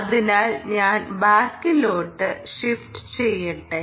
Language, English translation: Malayalam, so let me shift back